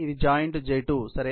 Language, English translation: Telugu, This is the joint J2 ok